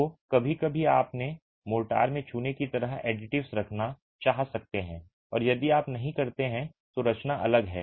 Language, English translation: Hindi, So, sometimes you might want to have additives like line in your motor and if you don't then the composition is different